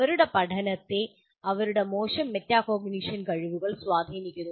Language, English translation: Malayalam, Their learning is influenced by their poor metacognition abilities